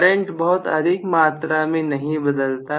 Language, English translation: Hindi, The current will not change grossly